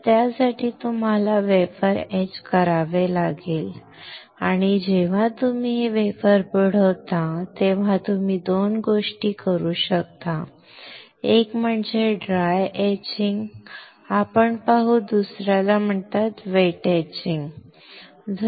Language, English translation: Marathi, So, for that you have to etch the wafer and when you dip this wafer you can do two things: one is called dry etching we will see, another is called wet etching